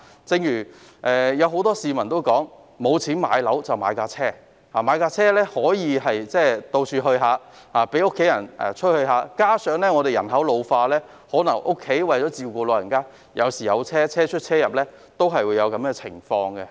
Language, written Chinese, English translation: Cantonese, 正如很多市民所說，沒錢買樓便買車，買車後可以到處走走，讓家人出入，加上香港人口老化，為了照顧家中的長者，有時需要以車輛代步。, As many people have said if they cannot afford a property they will buy a car and go to different places or drive their families around . What is more given the ageing population in Hong Kong people sometimes need a car for transporting the elderly family members under their care